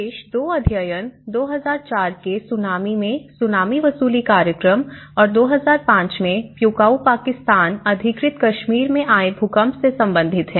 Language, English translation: Hindi, And then the Tsunami recovery programs in 2004 Tsunami and as well as 2005 earthquake in Kashmir in the Pewaukee Pakistan Occupied Kashmir